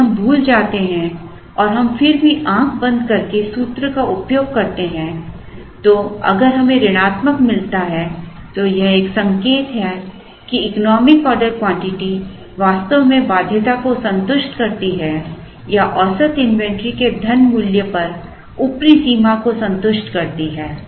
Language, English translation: Hindi, If we forget that and we still use the formula blindly and if we get a negative it is an indication that, the economic order quantity actually satisfies the condition or satisfies the upper limit on the money value of the average inventory